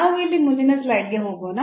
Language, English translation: Kannada, So, let us move to the next slide here